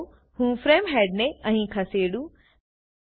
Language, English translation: Gujarati, Let me move the frame head here